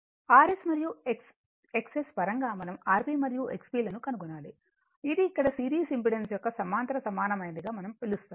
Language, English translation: Telugu, We have to obtain R P and X P in terms of R S and X S this is eh here what we call that parallel equivalent of a series impedance